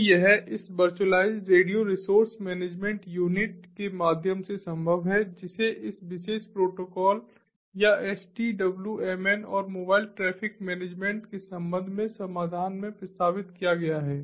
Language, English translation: Hindi, so this is made possible through this virtualized radio resource management unit which has been proposed in this particular protocol, or the solution which is sdwmn